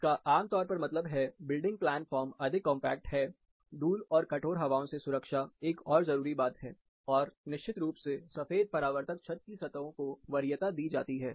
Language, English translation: Hindi, This typically means, the building plan form is more compact, protection from dust, and hard winds is another crucial thing, plus of course, white reflective roof surfaces are also preferred